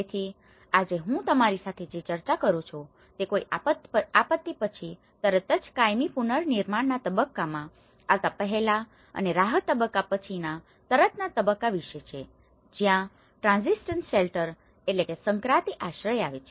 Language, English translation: Gujarati, So, today what I am going to discuss with you is it is about the immediately after a disaster before coming into the permanent reconstruction stage and just immediately after relief stage, this is where the transition shelter